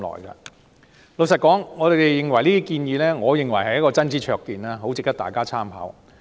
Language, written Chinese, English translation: Cantonese, 坦白說，我認為這些建議是真知灼見，很值得大家參考。, Frankly speaking I think these suggestions are really insightful and worth considering